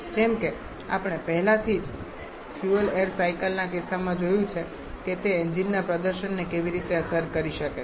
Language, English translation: Gujarati, As we have already seen in case of fuel air cycle how that can affect the engine performance